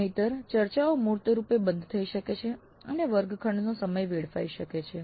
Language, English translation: Gujarati, Otherwise the discussions can go off tangentially and the classroom time can get wasted